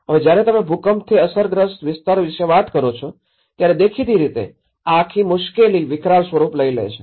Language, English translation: Gujarati, Now, when you talk about an earthquake affected area, obviously, the whole trouble creates you know, a massive scene